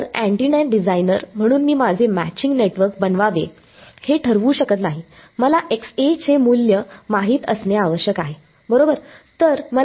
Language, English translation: Marathi, So, as an antenna designer I am may not fix what I have to make my matching network, I need to know the value of Xa right